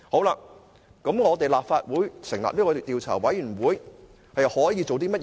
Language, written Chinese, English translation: Cantonese, 那麼立法會成立專責委員會可以做甚麼？, What then can be done by the select committee of the Legislative Council?